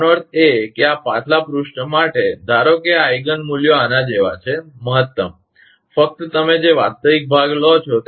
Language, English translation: Gujarati, That means for, for this previous page, suppose Eigen values are like this, a mac max; only real part you take